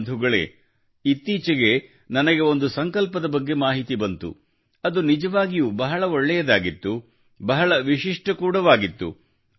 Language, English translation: Kannada, Friends, recently, I came to know about such a resolve, which was really different, very unique